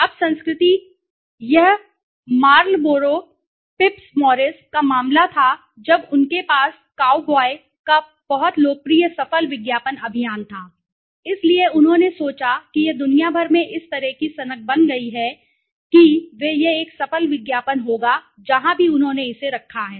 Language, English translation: Hindi, Now the culture, now I will give an example here, this was the case of Marlboro right, Phips Morris when they had the very popular successful advertising campaign of the cow boy right, so they thought this became such a craze across the world that they it would be a successful ad wherever they placed it